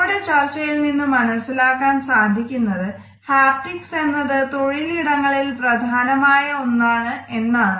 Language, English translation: Malayalam, On the basis of this discussion we can easily make out the haptics is pretty significant in the workplace